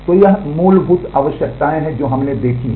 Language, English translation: Hindi, So, that is the basic requirements that we have seen